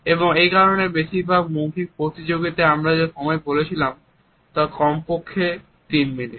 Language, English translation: Bengali, And that is why in most of the spoken competitions the time which we said is at least 3 minutes